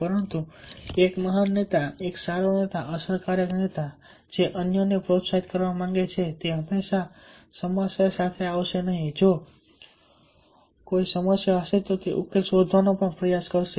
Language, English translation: Gujarati, but a great leader, a good leader, effective leader who wants to motivate others, will not all the time ah coming with a problem